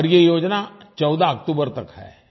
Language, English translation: Hindi, And this scheme is valid till the 14th of October